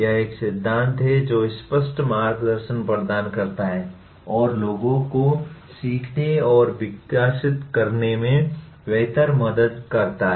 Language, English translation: Hindi, It is a theory that offers explicit guidance and how to better help people learn and develop